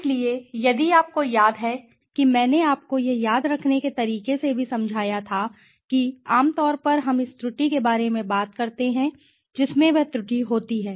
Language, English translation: Hindi, So, if you remember I had also explained you in a way to remember that within is generally we talk about the error it consist of the error right